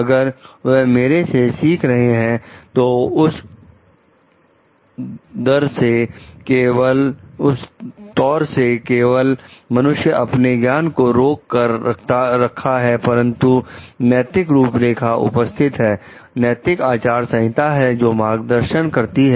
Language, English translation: Hindi, If they are going to learn from me so, from that fear only the person is trying to restrict the knowledge, but if there is an ethical guideline, if there is an ethical code which guides like